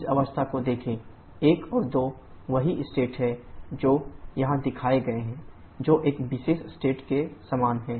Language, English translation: Hindi, Look at this state number 1 and 2 are the same state 5 that is shown here that is similar to this particular state